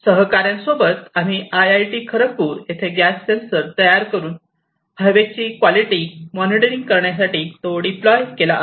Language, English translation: Marathi, Along with a colleague we have taken interest in IIT Kharagpur to built gas sensors and deploy them for monitoring the air quality